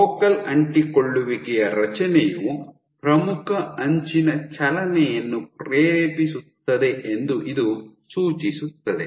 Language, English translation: Kannada, So, this suggests that formation of focal adhesions drives leading edge movement